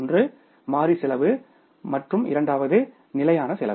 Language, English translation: Tamil, One is the variable cost and second is the fixed cost